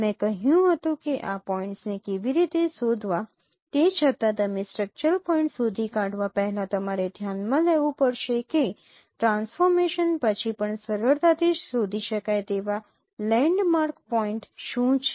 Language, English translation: Gujarati, Then even though you detect the structural points, first you have to consider that what are the landmark points which are easily detectable even after transformation